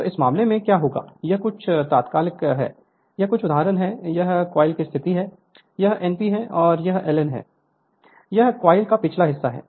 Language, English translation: Hindi, So, in this case what will happen that this is your some instant this is some instance this is the position of the coil, this is your N p, and this is your l N this is the back side of the coil